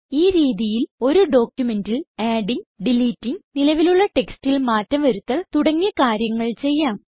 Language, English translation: Malayalam, In this manner, modifications can be made to a document by adding, deleting or changing an existing text in a document